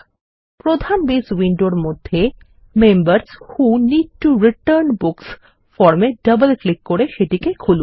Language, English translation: Bengali, In the main Base window, let us open the Members Who Need to Return Books form by double clicking on it